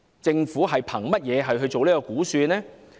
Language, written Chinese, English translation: Cantonese, 政府憑甚麼作出這項估算呢？, What is the basis of that projection of the Government?